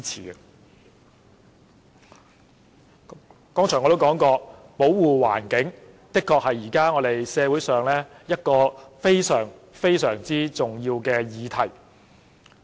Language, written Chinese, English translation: Cantonese, 我剛才也說過，環境保護的確是現時社會上一項非常重要的議題。, As I said just now environmental protection is indeed a very important issue in society now